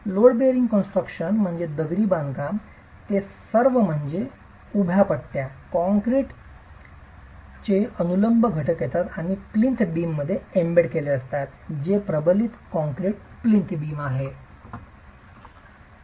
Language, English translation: Marathi, That is all which means the vertical bars, the reinforced concrete vertical elements come and are embedded in the plinth beam which is a reinforced concrete plinth beam